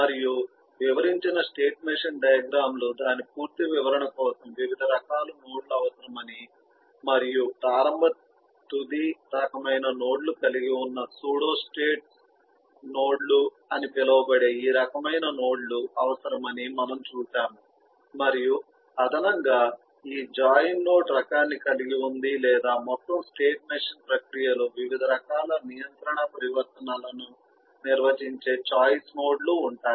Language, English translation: Telugu, and we have also seen that the state machine diagrams so described eh need variety of other kinds of nodes for its complete description of and these kind of descriptions, known as the pseudo state nodes, which eh include initial, eh, final kind of ah node and in addition it has eh for join this kind of node as well, which or eh choice nodes, which defines different kinds of control eh transition in the whole state machine process